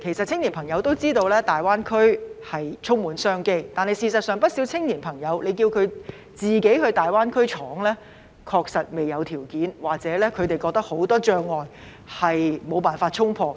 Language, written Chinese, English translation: Cantonese, 青年朋友也知道大灣區充滿商機，但如果叫青年朋友自行到大灣區闖，他們確實未有條件，又或認為有很多障礙無法衝破。, Young people also know that business opportunities are in abundance in GBA . Yet if they are asked to venture into GBA on their own to carve out their career they really lack the conditions to do so and they may think that there are many insurmountable obstacles